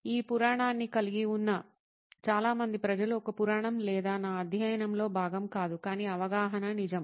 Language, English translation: Telugu, A lot of people who have this myth going around whereas, a myth or not is not part of my study but the perception is true